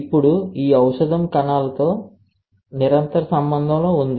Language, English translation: Telugu, Now, this drug is in continuous contact with the cells